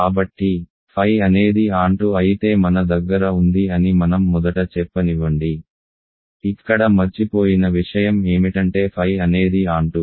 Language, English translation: Telugu, So, let me first say that phi is onto we have this the missing phi is here is that phi is onto